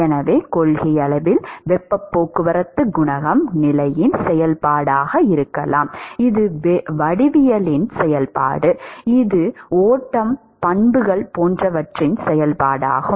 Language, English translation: Tamil, So, in principle heat transport coefficient can be a function of position, it is a function of geometry, it is a function of the flow properties etcetera